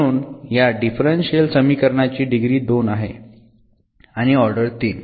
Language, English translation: Marathi, So, the degree of this differential equation is 2 and the order is s 3